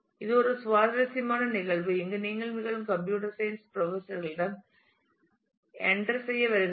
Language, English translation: Tamil, This is an interesting case that happens here where again you come to computer science professors to be entered